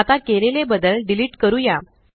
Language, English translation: Marathi, Now, let us delete the changes made